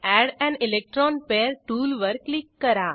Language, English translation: Marathi, Click on Add an electron pair tool